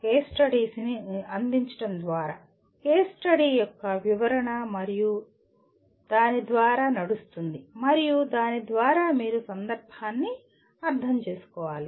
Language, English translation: Telugu, By providing a case study, a description of a case study and running through that and through that you have to understand the context